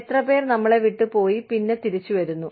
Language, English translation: Malayalam, How many people, leave us and come